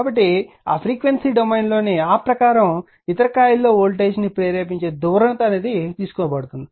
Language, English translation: Telugu, So, according to that in the your what you call in that your frequency domain the polarity of that induce voltage in other coil is taken